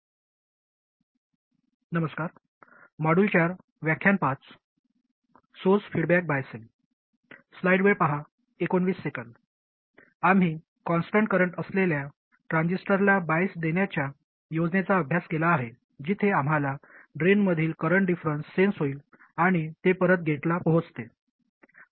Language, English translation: Marathi, We have studied the scheme of biasing the transistor at a constant current where we sense the current difference at the drain and feed it back to the gate